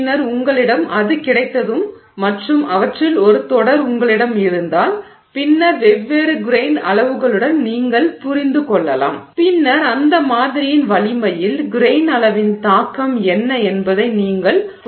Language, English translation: Tamil, Then once you have that and if you have like a series of them then you can understand with different grain sizes, then you can understand what is the impact of the grain size on the strength of that sample